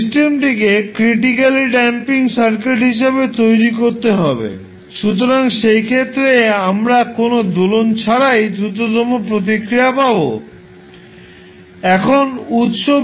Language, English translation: Bengali, We have to make the system critically damped circuit, so in that case we will get the fastest response without any oscillations